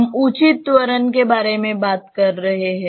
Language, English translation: Hindi, We are talking about the proper acceleration